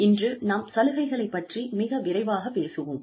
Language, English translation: Tamil, Today, we will talk about, benefits, very quickly